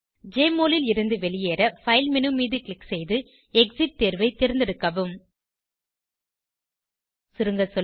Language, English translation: Tamil, To exit Jmol, click on the File menu and select Exit option, to exit the program